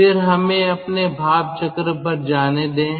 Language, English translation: Hindi, then let us go to your ah steam cycle, state eight